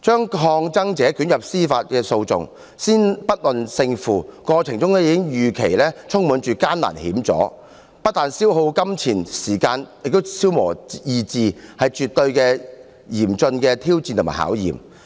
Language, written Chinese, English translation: Cantonese, 把抗爭者捲入司法訴訟，先不論勝負，過程已預期充滿艱難險阻，不但消耗金錢和時間，也消磨意志，是絕對嚴峻的挑戰和考驗。, Implicating protestors in judicial proceedings regardless of the results involves a process which is expected to be full of difficulties and dangerous obstructions . It not only expends time and money but also drains the willpower definitely a tough challenge and test